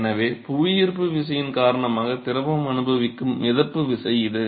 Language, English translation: Tamil, So, it is the buoyancy forces or force that the fluid is experienced in because of gravity